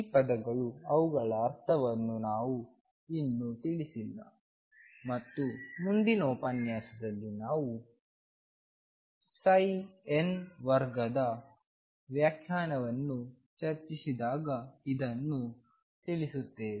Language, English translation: Kannada, These terms we have not yet addressed what do they mean and we will address this in the next lecture when we discuss the interpretation of psi n square